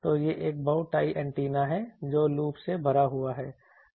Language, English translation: Hindi, So, this is a bowtie antenna loaded with a loop